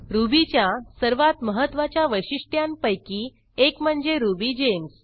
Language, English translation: Marathi, One of the most important feature of Ruby is RubyGems